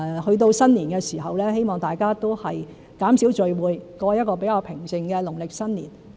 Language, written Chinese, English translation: Cantonese, 去到新年時，希望大家都能減少聚會，過一個比較平靜的農曆新年。, During the Chinese New Year I hope people will reduce gatherings and have a relatively quiet Chinese New Year